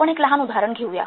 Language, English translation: Marathi, Let's take a small example